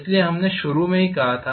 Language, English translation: Hindi, So that is why we said right in the beginning